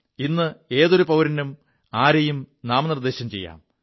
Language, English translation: Malayalam, Now any citizen can nominate any person in our country